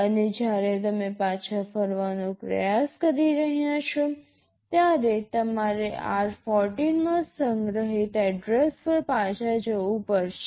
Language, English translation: Gujarati, And when you are trying to return back, you will have to jump back to the address that is stored in r14